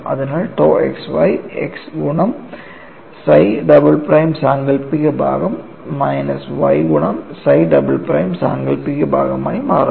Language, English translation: Malayalam, So, tau xy becomes x imaginary part of psi double prime minus y real part of psi double prime plus imaginary part of chi double prime